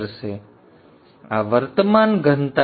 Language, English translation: Gujarati, So this is the current density